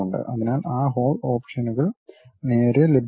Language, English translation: Malayalam, So, that hole options straight away available